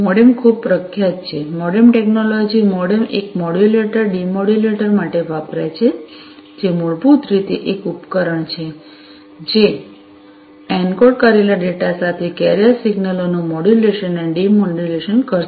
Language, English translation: Gujarati, MODEMs are quite popular, MODEM technology, MODEM stands for Modulator Demodulator, which is basically a device that will do modulation and demodulation of carrier signals, with the encoded data